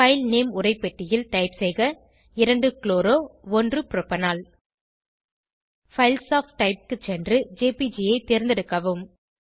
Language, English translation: Tamil, In the File Name text box, type 2 chloro 1 propanol Go to Files of Type and select jpg